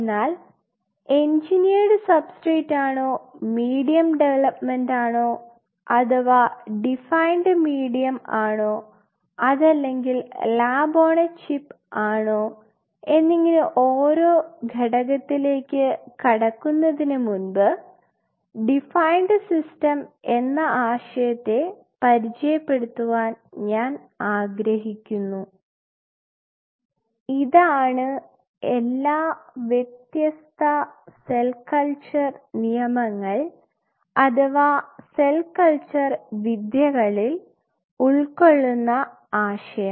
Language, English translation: Malayalam, But before I get into the individual component in terms of whether it is an engineered substrate, whether it is a medium development or a defined medium or whether it is a lab on a chip I want to introduce the concept of defined system, this is the emerging concept of all the different cell culture rules or cell culture techniques we are working